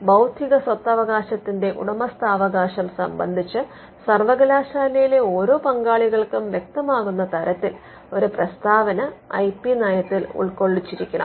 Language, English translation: Malayalam, So, there will be the IP policy should capture a statement which makes it very clear for every stakeholder in the university on ownership of intellectual property rights